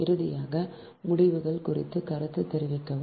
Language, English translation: Tamil, finally, comment on the results, right so